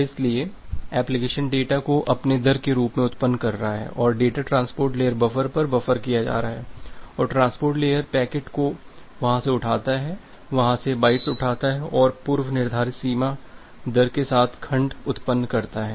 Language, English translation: Hindi, So, that is why the application is generating data as its own rate and the data is being buffered at the transport layer buffer and the transport layer picks up the packets from there, picks up the bytes from the there and generate the segments with a predefined bounded rate